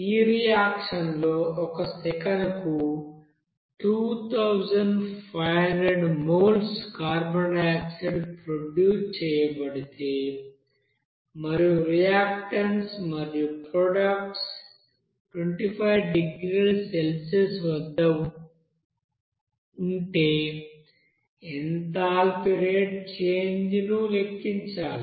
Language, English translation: Telugu, Now you have to calculate the rate of enthalpy change if 2500 moles per second of carbon dioxide is produced in this reaction and the reactants and products are all at 25 degree Celsius